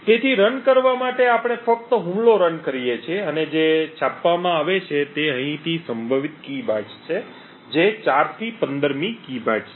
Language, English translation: Gujarati, So, in order to run we just run the attack and what gets printed are the potential key bytes from here onwards that is 4th to the 15th key bytes